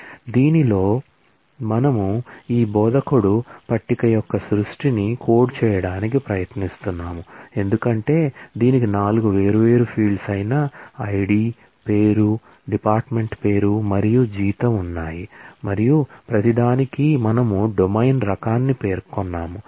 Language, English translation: Telugu, So, in this we are trying to code the creation of this instructor table, as you can see it has 4 different fields ID, name, department name and salary and for each one we have specified the domain type